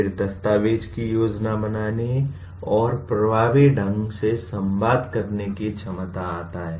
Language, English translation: Hindi, Then come the ability to document plan and communicate effectively